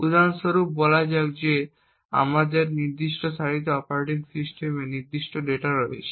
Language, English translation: Bengali, For example let us say that we have operating system specific data present in this specific row